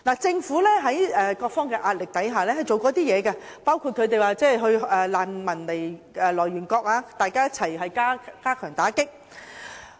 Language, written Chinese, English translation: Cantonese, 政府在各方的壓力下，進行過一些工作，包括與難民的來源國一同加強打擊。, Under pressure from various aspects the Government has done some work including combating the problem together with the countries of origin of refugees